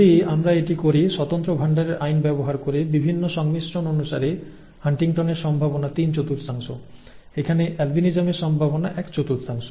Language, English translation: Bengali, If we do that invoking law of independent assortment, the probability of HuntingtonÕs is three fourth; the probability of albinism is one fourth according to the various combinations here